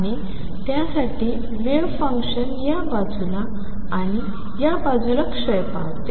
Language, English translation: Marathi, And for that the wave function decays on this side and decays on this side